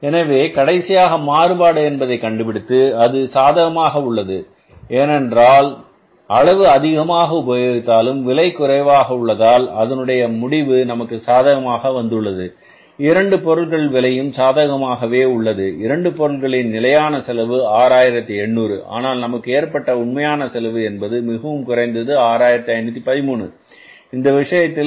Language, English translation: Tamil, 5 rupees per kg so finally the variance has come up as positive because though the quantity has increased price has come down per KG and the net result is positive so if you calculate both these costs both is means standard cost is 680 and actual cost has come up as much less that is 65 13 so in this case 6513